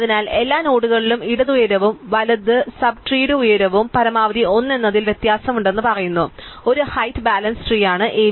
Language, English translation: Malayalam, So, an AVL tree is a height balanced tree which says that at every node the height of the left and height of the right sub trees differ by at most 1